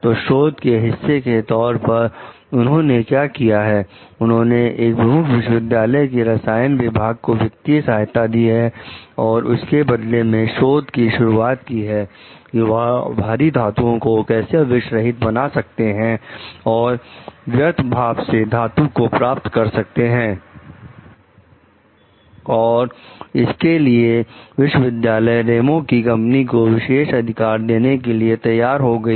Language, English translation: Hindi, So, as a part of his research what they have done, they offers to provide funding to the chemical department of a major university and in return like for the research on removal of poisonous heavy materials, metals from waste streams and the university agrees to give Ramos s company the exclusive right